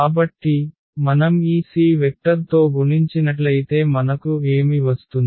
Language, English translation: Telugu, So, if we multiply are this c to this vector u then what we will get